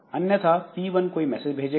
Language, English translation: Hindi, So, P1 has sent some message, okay